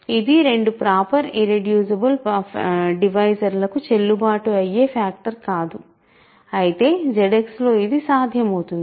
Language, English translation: Telugu, So, we this is not a valid factorization in to two proper irreducible divisors, whereas, in Z X it is